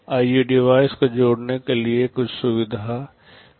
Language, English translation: Hindi, There can be some facility for connecting IO devices